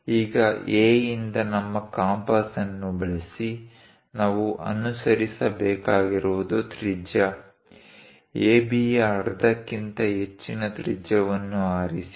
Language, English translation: Kannada, Now, using our compass from A; what we have to do is; pick a radius, pick a radius greater than half of AB